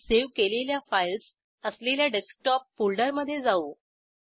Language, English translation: Marathi, And I will go to Desktop folder where I had saved my files